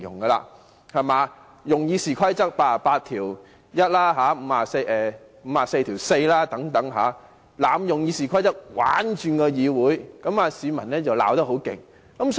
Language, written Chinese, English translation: Cantonese, 他們利用《議事規則》第881條、第544條等，透過濫用《議事規則》"玩轉"議會，市民已經批評得很厲害。, They took advantage of Rules 881 and 544 of the Rules of Procedure RoP and through the abuse of RoP they threw this Council into chaos and confusion and they have already been severely criticized by the public